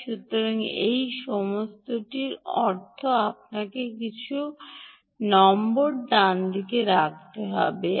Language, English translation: Bengali, so all of this means you have to put down some numbers right